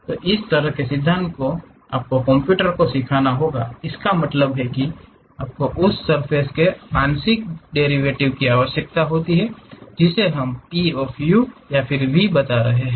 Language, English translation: Hindi, So, this kind of principle you have to teach it to computer; that means, you require the partial derivatives of that surface which we are describing P of u comma v